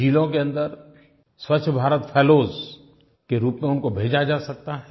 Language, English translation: Hindi, They can also be sent to various districts as Swachchha Bharat Fellows